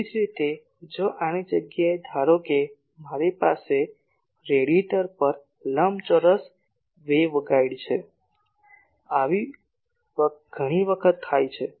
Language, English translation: Gujarati, Similarly, if instead of this suppose I have a rectangular waveguide at the radiator many times this happens